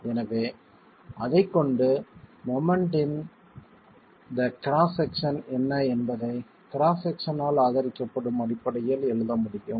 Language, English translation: Tamil, So, with that we are basically going to be able to write down what is the moment in the cross section supported by the cross section itself